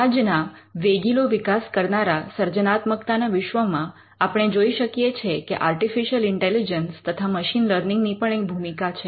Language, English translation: Gujarati, In today’s rapidly evolving landscape of creativity, we can see how artificial intelligence and machine learning plays a role